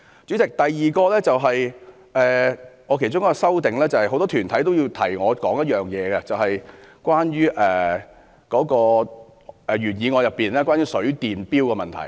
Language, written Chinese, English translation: Cantonese, 主席，我其中一項修正內容，是因應很多團體的提醒而提出的，便是原議案中有關水電錶的問題。, President one of the items in my amendment is put forth in response to the reminders offered by a lot of organizations and this is the item concerning water and electricity meters in the original motion